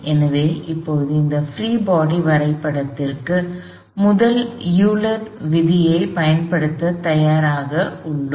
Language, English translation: Tamil, So, now, we are ready to apply the first law, first Euler's law to this free body diagram